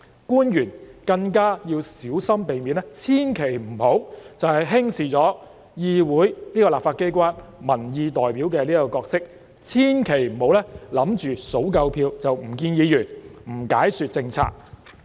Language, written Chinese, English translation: Cantonese, 官員更應小心避免這樣做，千萬不要輕視議會——這個立法機關——民意代表的角色，千萬不要以為數夠票便不會見議員，不解說政策。, Officials should be careful not to do so and should not underestimate the role of the legislature which is the representative of public opinions or think that if they have enough votes it will be unnecessary for them to meet with legislators or explain their policies